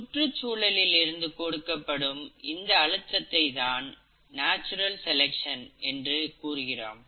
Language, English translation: Tamil, This pressure, which is provided by the environment is what is called as the ‘natural selection’